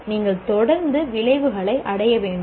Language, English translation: Tamil, So you should continuously improve the attainment of the outcomes